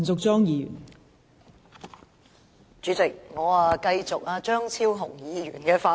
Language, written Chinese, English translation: Cantonese, 代理主席，我接續張超雄議員的發言。, Deputy Chairman I speak as a continuation of Dr Fernando CHEUNGs speech